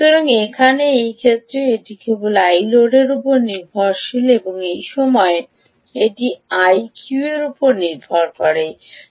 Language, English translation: Bengali, so here, in this case, it is just dependent on i load and in this time it will dependent on i q